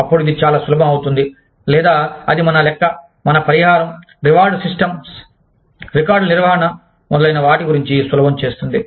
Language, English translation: Telugu, Then, it becomes very easy, or it becomes, it facilitates, our calculation of things like, compensation, reward systems, maintenance of records, etcetera